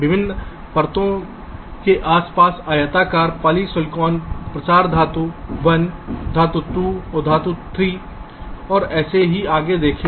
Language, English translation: Hindi, rectangles around various layers: polysilicon, diffusion, metal, metal one, metal two, metal three, and so on fine